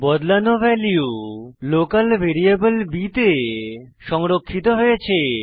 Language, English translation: Bengali, The converted value is then stored in the variable b